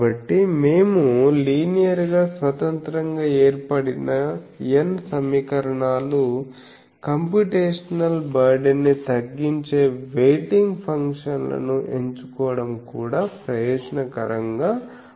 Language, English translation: Telugu, So, that the n equations that we have formed a linearly independent, also it will be advantageous to choose weighting functions that minimize the computational burden